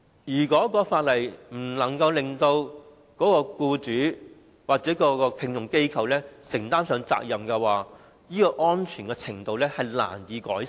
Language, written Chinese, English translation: Cantonese, 如果法例不能夠使僱主或聘用機構承擔責任，職業安全的水平則難以改善。, If legislation fails to make employers or the hiring organizations responsible it is difficult to improve the level of occupational safety